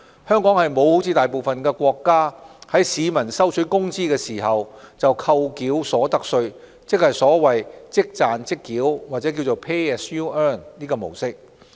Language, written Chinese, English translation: Cantonese, 香港沒有像大部分國家般，在市民收取工資時便扣繳所得稅，即所謂"即賺即繳"的模式。, Unlike most countries Hong Kong does not practise the so - called Pay As You Earn system whereby income tax is withheld and paid at the time the remuneration is received